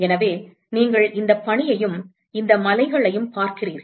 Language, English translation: Tamil, So, you see these snow and these mountains